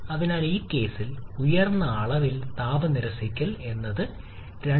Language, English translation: Malayalam, So, which one is having higher amount of heat rejection in this case